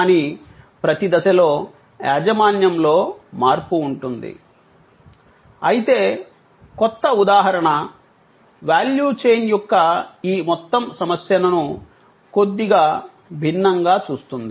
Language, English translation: Telugu, But, at every stage there will be a change of ownership, the new paradigm however looks at this whole issue of value chain a little differently